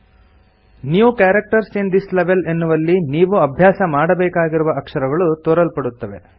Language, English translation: Kannada, The New Characters in This Level displays the characters we will learn in this level